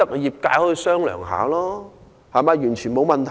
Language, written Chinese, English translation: Cantonese, 業界可以商量，完全沒有問題。, The trade will be willing to discuss this issue; there is no problem at all